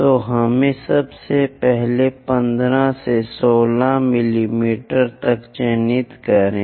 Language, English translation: Hindi, So, let us first of all mark 15 to 16 mm